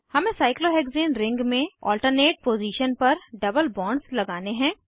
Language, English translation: Hindi, We have to introduce double bonds at alternate positions in the cyclohexane ring